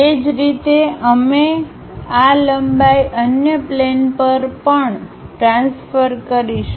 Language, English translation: Gujarati, Similarly, we will transfer these lengths on other planes also